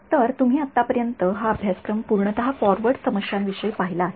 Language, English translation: Marathi, So, you have looked at this course so far has been entirely about forward problems